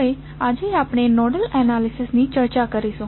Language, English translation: Gujarati, So, today we will discuss about the Nodal Analysis